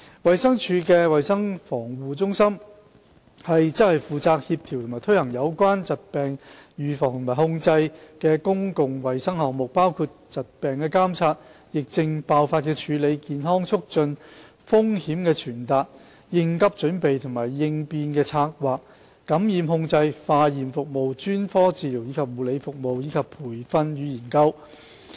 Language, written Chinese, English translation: Cantonese, 衞生署的衞生防護中心負責協調和推行有關疾病預防及控制的公共衞生項目，包括疾病監測、疫症爆發處理、健康促進、風險傳達、應急準備及應變策劃、感染控制、化驗服務、專科治療及護理服務，以及培訓與研究。, The Centre for Health Protection CHP of DH is responsible for the coordination and implementation of public health programmes on disease prevention and control including disease surveillance outbreak management health promotion risk communication emergency preparedness and contingency planning infection control laboratory services specialist treatment and care services and training and research